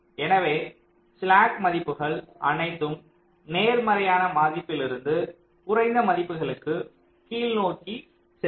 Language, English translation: Tamil, so slack values will all go towards the downward side, from a higher positive value to a lower values